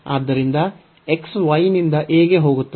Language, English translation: Kannada, So, x goes from y